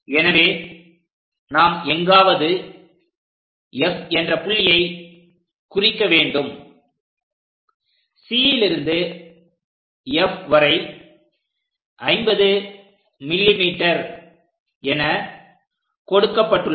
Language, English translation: Tamil, So, somewhere F we have to mark it in such a way that C to F is already given 50 mm, with that 50 mm locate it